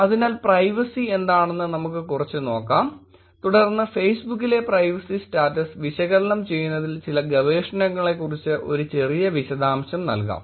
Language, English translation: Malayalam, So, let us look at what privacy is a little bit and then give a little detail about some research that was goes down in terms of analyzing the privacy status on Facebook